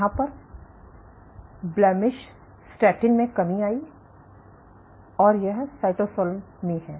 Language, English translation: Hindi, So, you have in a decrease in blemish statin, and this is in cytosol